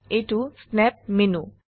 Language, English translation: Assamese, This is the Snap menu